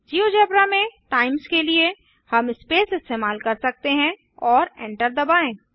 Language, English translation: Hindi, For times in geogebra we can use the space, and press enter